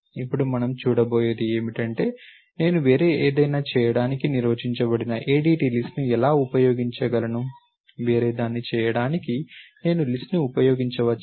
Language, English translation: Telugu, Now, what we will see is how can I use an ADT list that is being defined to do something else, can I use the list to make something else